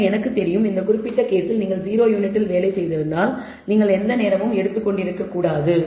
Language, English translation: Tamil, So, I know in this particular case perhaps that that if you process 0 units you should not have taken any time